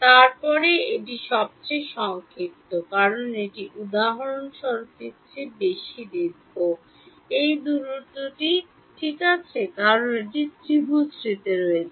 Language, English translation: Bengali, Then this is the shortest, because this is longer than for example, this distance right because it is on the diagonal